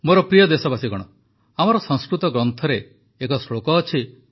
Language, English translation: Odia, My dear countrymen, there is a verse in our Sanskrit texts